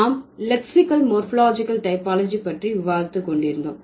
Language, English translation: Tamil, We were discussing lexical and morphological typology